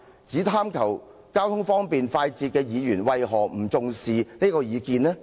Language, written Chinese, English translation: Cantonese, 只貪求交通方便快捷的議員為何不重視這意見呢？, How come the Member who only desires convenient and fast transport does not attach any importance to this view?